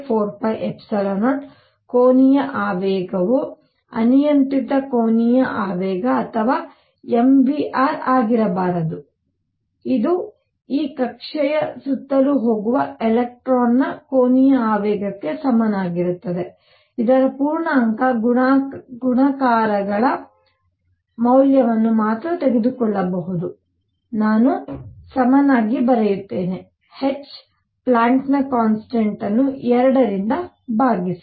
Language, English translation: Kannada, The angular momentum cannot be arbitrary angular momentum or m v r which is equal to the angular momentum of electron going around this orbit can take only those values which are integer multiples of h cross, let me write h cross equals h Planck’s constant divided by 2 pi